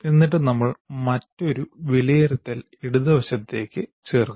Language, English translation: Malayalam, And then we have put another evaluate on the left side